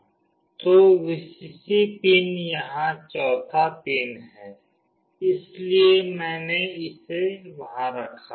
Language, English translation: Hindi, So, the Vcc pin here is the fourth pin, so I put it there